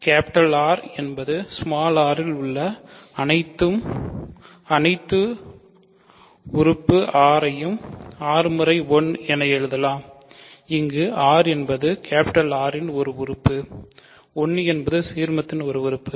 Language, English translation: Tamil, So, for all r in R r can be written as r times 1 where r is an element of R, 1 is an element of the ideal